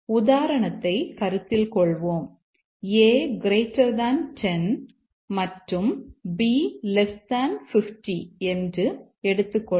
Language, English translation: Tamil, Let's consider the example if A greater than 10 and b less than 50